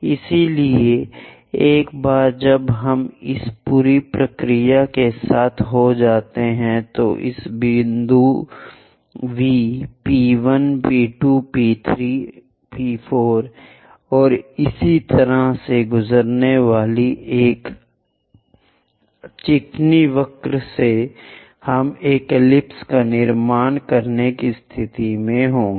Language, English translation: Hindi, So, once we are done with this entire procedure, a smooth curve passing through this V point P 1 P 2 P 4 and so on, we will be in a position to construct an ellipse